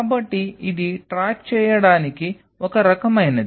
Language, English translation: Telugu, So, this is kind of to keep track